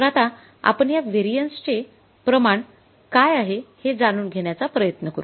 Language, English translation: Marathi, So now you got the real answer that what is this variance